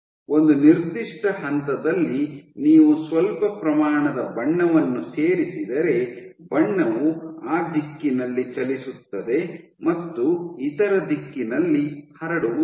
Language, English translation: Kannada, So, in the pipe if you add a small amount of dye at a given point the dye will travel along that direction and will not diffuse in other direction